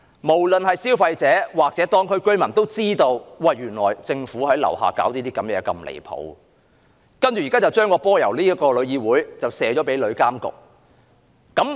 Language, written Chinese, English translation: Cantonese, 無論是消費者或居民都知道，政府在地區做了那麼多離譜的事，現在將責任由香港旅遊業議會交給旅監局。, Both consumers and residents are well aware that the Government has done many outrageous things in the districts and it is now passing the responsibilities from the Travel Industry Council of Hong Kong to TIA